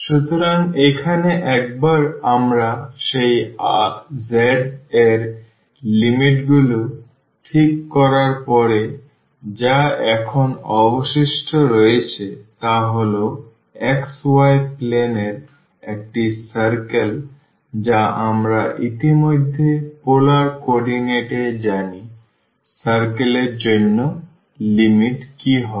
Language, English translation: Bengali, So, here once we have fixed these limits of that z what is left now is a circle in the xy plane which we know already in polar coordinates what will be the limits for the circle